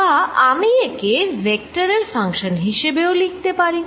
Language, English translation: Bengali, i can also write this as a function of vector r